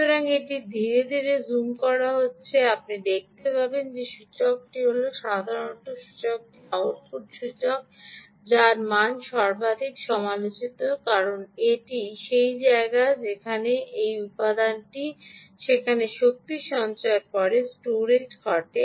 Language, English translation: Bengali, so its slowly getting zoomed, you will see that this inductor is the usual inductor, the output inductor, whose value is most critical, because that is the place where that is the component in which the energy storage occurs after switching